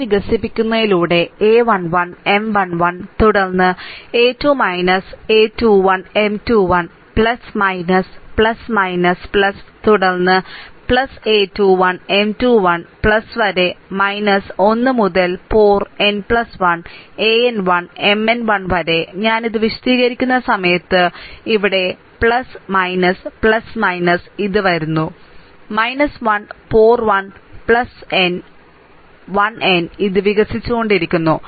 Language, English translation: Malayalam, So, expanding towards the column so, a 1 1, M 1 1, then a 2 minus a 2 1 M 2 1 plus minus plus, minus plus, then plus a 3 1 M 3 1 plus upto that minus 1 to the power n plus 1 a n 1, M n 1 here also while I am explaining this plus minus plus minus, right